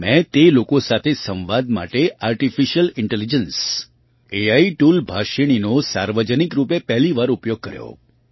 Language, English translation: Gujarati, There I publicly used the Artificial Intelligence AI tool Bhashini for the first time to communicate with them